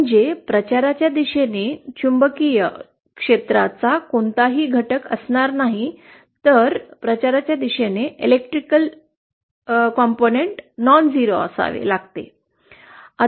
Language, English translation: Marathi, That is, there will be no component of magnetic field along the direction of propagation but the electric field along the direction of propagation will have to be nonzero